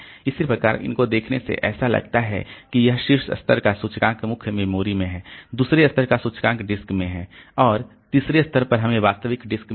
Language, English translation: Hindi, So, so this by looking into this, so this top level index is in the main memory, second level index is in the disk and at the third level we have got the actual disk